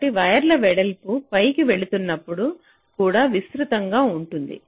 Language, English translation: Telugu, so as we move up, the width of the wires also will be getting wider and wider